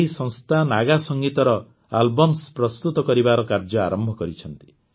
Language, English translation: Odia, This organization has started the work of launching Naga Music Albums